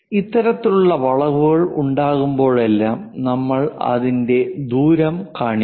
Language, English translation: Malayalam, Whenever this kind of curves are there, we show it by radius